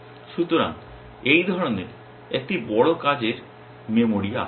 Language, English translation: Bengali, So, in a large working memory of this kind